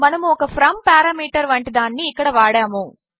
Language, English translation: Telugu, We wont use something like a from parameter here